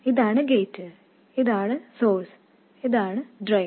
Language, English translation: Malayalam, This is the gate, this is the source and this is the drain